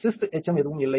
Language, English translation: Tamil, So, there is no cist residue is left